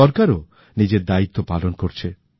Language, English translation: Bengali, The government is also playing its role